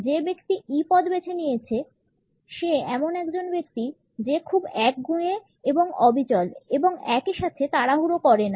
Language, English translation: Bengali, The person who has opted for the E position comes across as a person who is very stubborn and persistent and at the same time is not hurried